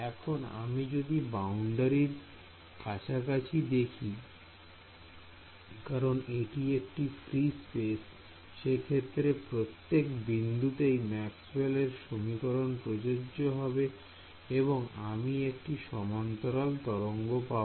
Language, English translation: Bengali, But when I do this now when I look anywhere close to the boundary because its free space Maxwell’s equation should be satisfied at each point in space free space or homogeneous space I will get a plane wave